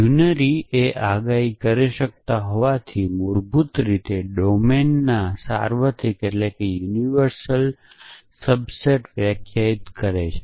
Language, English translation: Gujarati, Since unary predicates they basically define a subset of the universal discourse of the domain